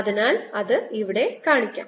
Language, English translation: Malayalam, so let's put them here